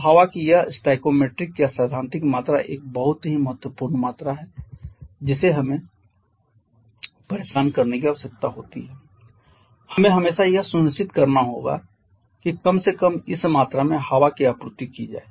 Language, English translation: Hindi, So, this stoichiometric or theoretical combustion or theoretical quantity of air is a very important quantity that we always need to be bothered about